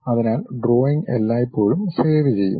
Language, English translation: Malayalam, So, drawing always be saved